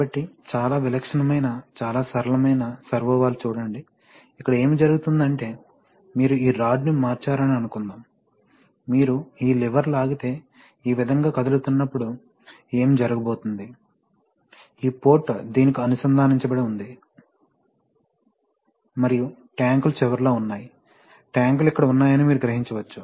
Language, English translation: Telugu, So, what is the, what is the basic idea, see a very typical, very simple type of servo valve, so what is happening here is that suppose you shift this, this rod, okay, so if you pull this lever, it will move this way, as it moves this way, what is going to happen, that this port it will be connected to this, and the tanks are at the end, you can imagine the tanks are here